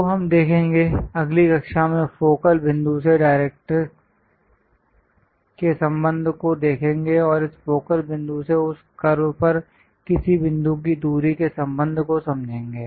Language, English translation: Hindi, So, we will see, understand the relation between the focal point to the directrix and the distance from this focal point to any point on that curve in the next class